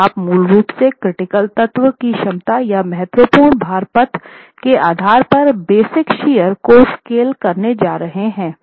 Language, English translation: Hindi, So, you are basically going to scale the base shear based on the capacity of the critical element or the critical load path